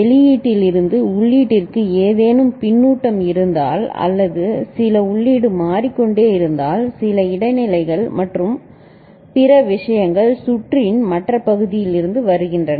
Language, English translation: Tamil, And if there is any feedback from output to input or some input is changing I mean, there is some transients and other things that is coming into the picture from different other parts of the circuit